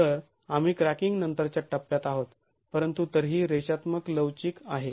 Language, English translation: Marathi, So, we are in the post cracking phase but still linear elastic